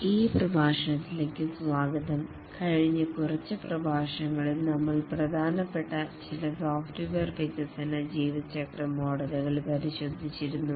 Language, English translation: Malayalam, Welcome to this lecture over the last few lectures we had looked at a few important software development lifecycle models